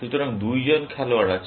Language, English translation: Bengali, So, there are two players